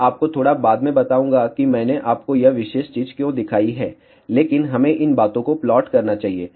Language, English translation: Hindi, I will tell you little later why I have shown you this particular thing, but let us plot these thing